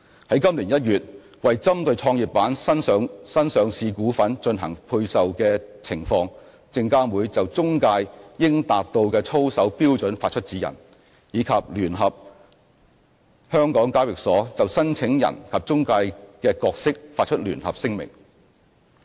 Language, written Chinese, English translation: Cantonese, 在今年1月，為針對創業板新上市股份進行配售的情況，證監會就中介應達到的操守標準發出指引，以及聯同香港交易所就申請人及中介的角色發出聯合聲明。, With regard to IPO placings in the Growth Enterprise Market SFC has issued a set of guidelines on the expected standards of conduct of intermediaries and a joint statement with the Hong Kong Exchanges and Clearing Limited HKEx regarding the roles of applicants and intermediaries in January this year